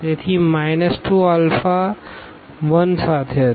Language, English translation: Gujarati, So, minus 2 was with alpha 1